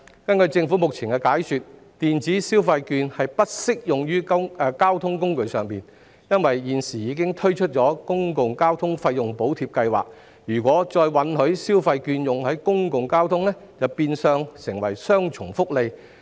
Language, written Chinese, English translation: Cantonese, 根據政府目前的解說，電子消費券並不適用於交通工具，因為現時已推出公共交通費用補貼計劃，如果再允許消費券在公共交通上使用，便會變相提供雙重福利。, According to the Government the coverage of electronic consumption vouchers does not include public transport because with the Public Transport Fare Subsidy Scheme PTFSS in place allowing the use of the vouchers on public transport would result in double subsidy